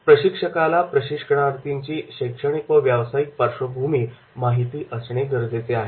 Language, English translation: Marathi, Now, trainer is expected to know the academic background and the profile background of the participants